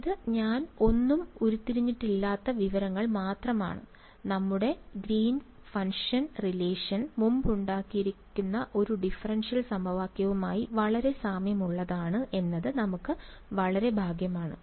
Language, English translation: Malayalam, So, this is just information I have not derived anything, we got very lucky that our greens function relation came very similar to a preexisting differential equation